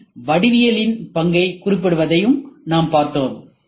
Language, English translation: Tamil, And we also saw a specifying the role of geometry in RM